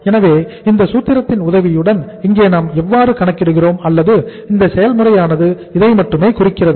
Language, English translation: Tamil, So this this how we are calculating here with the help of this formula or this process this is only indicative